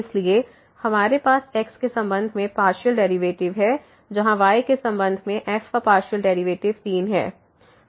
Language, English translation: Hindi, So, we have the partial derivative with respect to as to partial derivative of with respect to here as 3